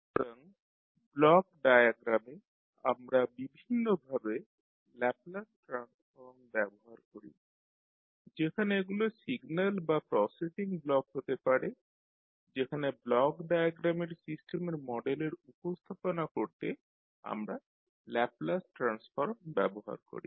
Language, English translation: Bengali, So in the block diagram we use the Laplace transform of various quantities whether these are signals or the processing blocks we used the Laplace transform to represent the systems model in block diagram